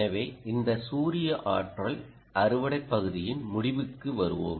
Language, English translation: Tamil, so, ah, let's just conclude on this solar ah, energy harvesting part